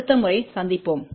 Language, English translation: Tamil, See you next time